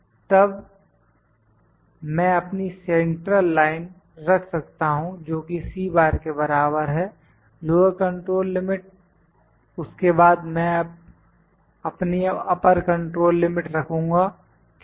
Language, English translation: Hindi, Then I can have just put my central line that is equal to C bar then lower control limit, then I will put my upper control limit, ok